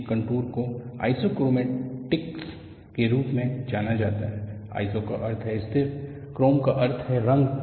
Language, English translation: Hindi, These contours are known as Isochromatic; the meaning isiso means constant; chroma means color